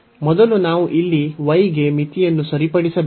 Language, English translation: Kannada, So, first we have to fix the limit for y here